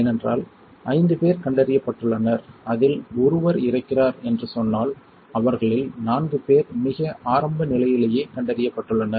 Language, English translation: Tamil, Because if let us say 5 is diagnosed and 1 is dying, 4 of them are diagnosed at extremely early stage right